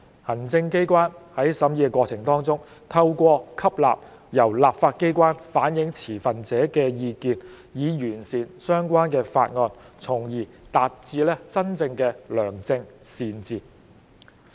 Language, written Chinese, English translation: Cantonese, 行政機關在審議過程當中，透過吸納由立法機關反映持份者的意見，以完善相關的法案，從而達致真正的良政善治。, During the scrutiny process the executive authorities can improve the relevant bill by incorporating stakeholders views reflected by the legislature thereby achieving genuine good governance